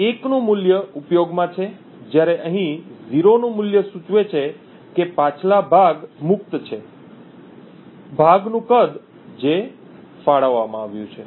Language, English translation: Gujarati, A value of 1 is in use while a value of 0 over here indicates that the previous chunk is free, the size of the chunk that has been allocated